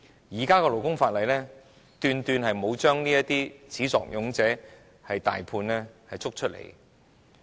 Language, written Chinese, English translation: Cantonese, 根據現行勞工法例，斷斷沒有把這些始作俑者抓出來。, Under the existing labour laws the perpetrators are certainly let off lightly